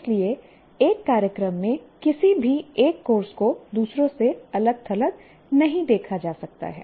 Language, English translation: Hindi, So, what happens is any single course in a program cannot be seen in isolation from the others